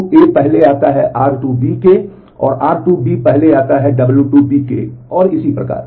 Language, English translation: Hindi, And then r 1 then you have w 1